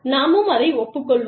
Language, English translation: Tamil, You know, let us admit it